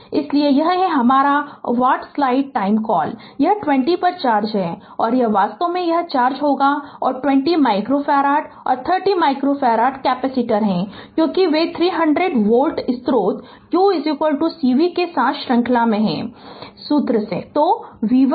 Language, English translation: Hindi, Therefore this is that your what you call this is the charge on 20 and your this is actually there will be an is right this is the charge and 20 micro farad and 30 micro farad capacitor, because they are in series with the 300 volt source therefore, we know q is equal to cv from the formula